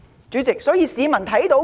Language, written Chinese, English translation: Cantonese, 主席，市民看到甚麼？, President what have the citizens seen?